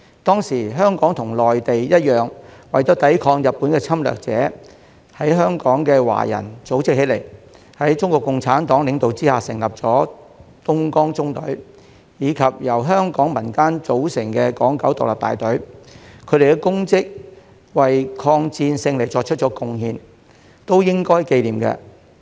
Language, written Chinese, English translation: Cantonese, 當時，香港和內地一樣，為了抵抗日本的侵略者，在香港的華人組織起來，在中國共產黨領導下成立東江縱隊，以及由香港民間組成的港九獨立大隊，他們的功績、為抗戰勝利作出貢獻，都應該記念。, Back then just like those on the Mainland the Chinese people in Hong Kong organized themselves to resist the Japanese invaders . The Dongjiang Column was founded under the leadership of the Communist Party of China while the Hong Kong Independent Battalion was formed by civilians in Hong Kong . Their achievements and contribution to the victory of the War of Resistance against Japanese Aggression should be commemorated